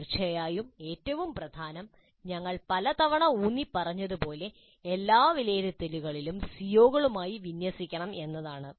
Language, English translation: Malayalam, Of course, the most important point as we have emphasized many times is that all assessment must be aligned to the COs